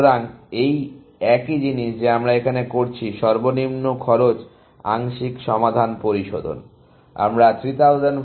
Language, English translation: Bengali, So, this is the same thing that we were doing here; refining the least cost partial solution